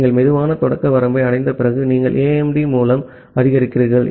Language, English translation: Tamil, After you have reached slow start threshold, you increase through AIMD